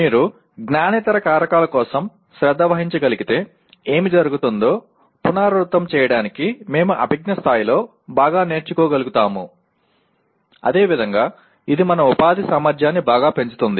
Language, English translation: Telugu, To restate what happens if you are able to take care for non cognitive factors we may be able to learn better at cognitive level as well as it will greatly enhance our employment potential